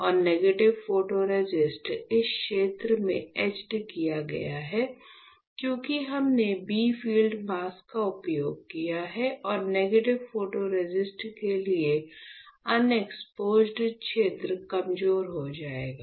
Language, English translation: Hindi, And why the negative photoresist got etched from this area, because we have used a bright field mask and the unexposed region for negative photoresist will become weaker, right